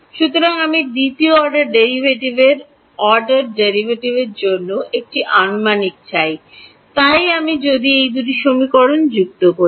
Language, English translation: Bengali, So, I want an approximation for second order derivative, so if I add these two equations